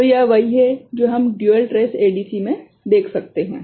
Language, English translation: Hindi, So, this is what we can see in dual trace ADC right